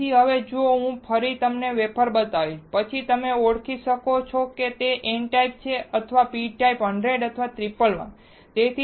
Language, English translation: Gujarati, So, now, if I once again show you the wafer then can you identify whether it is n type or p type 100 or 111